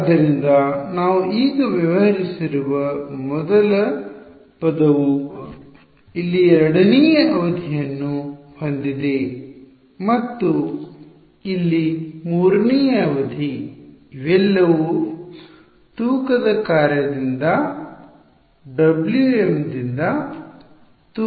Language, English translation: Kannada, So, first term we have dealt with now I have the second term over here and this third term over here ok, all of it weighted by the weighing function W m ok